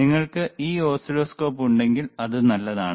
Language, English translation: Malayalam, If you have this oscilloscopes, it is fine,